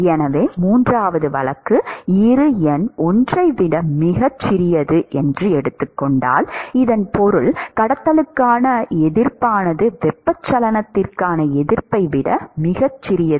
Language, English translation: Tamil, So, the third case is where Bi number is much smaller than 1; this means that the resistance to conduction is much smaller than resistance to convection